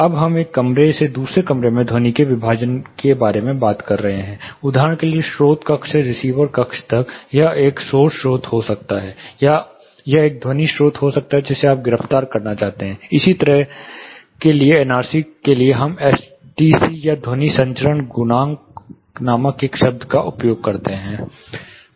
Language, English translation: Hindi, Now we are talking about sound, you know partitioning and insulating sound between one room to the other room, say if source room to the receiver room, it can be a nice source or it can be a sound source which you want to really arrest, for this similar to NRC we use a term called STC or sound transmission coefficient